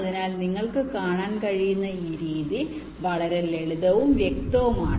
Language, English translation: Malayalam, so this method, ah you can see, is very simple and, ah, pretty obvious